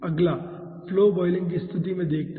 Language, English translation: Hindi, next lets us see something about flow boiling